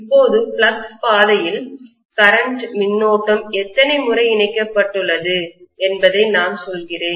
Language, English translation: Tamil, Now if I am saying that along the flux path how many times the current is being linked